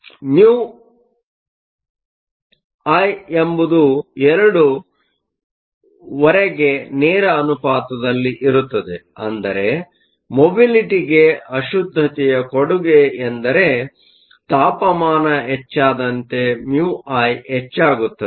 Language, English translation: Kannada, So, mu I is proportional two half, which means the contribution of the impurities to mobility is such that as the temperature increases mu I increases